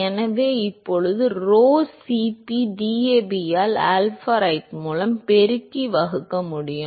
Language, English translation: Tamil, So now we can multiply and divide by rho Cp DAB by alpha right